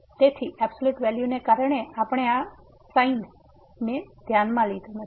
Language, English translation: Gujarati, So, because of the absolute value we have not taken this minus into consideration